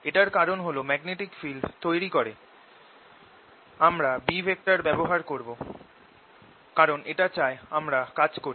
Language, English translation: Bengali, the reason is that establishing a magnetic field, a magnetic field i'll just use b for it requires us to do work